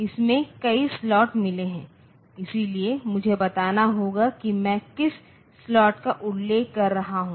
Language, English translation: Hindi, So, it has got several slots in it so I have to tell which slot am I referring to